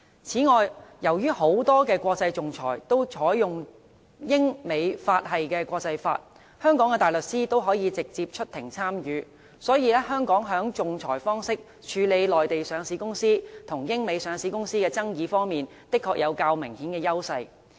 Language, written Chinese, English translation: Cantonese, 此外，由於很多國際仲裁均採用英、美、法系的國際法，香港的大律師可以直接出庭參與。所以，香港在以仲裁方式處理內地上市公司與英、美上市公司的爭議方面，的確具有較明顯的優勢。, Moreover many international arbitration cases adopt the systems of international law practised in the United Kingdom the United States and France and barristers in Hong Kong can directly represent clients in these cases so Hong Kong has an apparent advantage in arbitration cases involving disputes between listed companies of the Mainland and of the United Kingdom or the United States